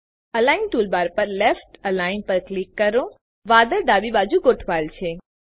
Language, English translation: Gujarati, On the Align toolbar, click Left The cloud is aligned to the left